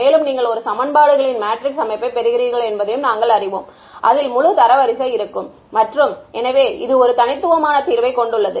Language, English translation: Tamil, And, we also know that you get a matrix system of equations which has full rank and therefore, it has a unique solution ok